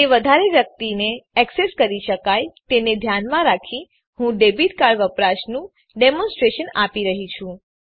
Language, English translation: Gujarati, In order to make it accessible to most people , i am going to demonstrate the use of debit card